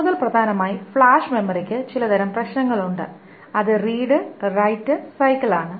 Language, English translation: Malayalam, More importantly, flash memory has certain types of, has a problem about its read write cycles